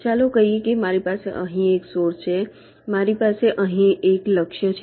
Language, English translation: Gujarati, let say i have a source here, i have a target here